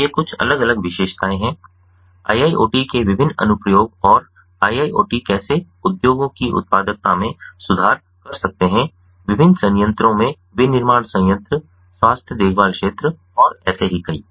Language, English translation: Hindi, so these are some of the different features, the different applications of iiot and how, how iiot can improve the productivity in the industry, in the different plants, manufacturing plants, the health care ah sector and so on